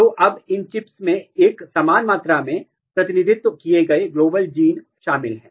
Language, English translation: Hindi, So now, these chips contains, global genes all the genes represented in an equal amount